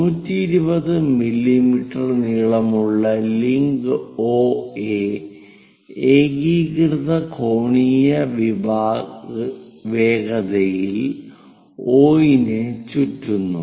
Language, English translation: Malayalam, A 120 mm long link OA rotates about O at uniform angular velocity